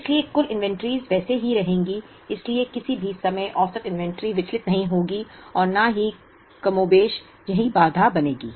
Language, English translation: Hindi, So, the aggregate inventories will remain as they are, so at any point in time the average inventory will not deviate or will be more or less the same constraint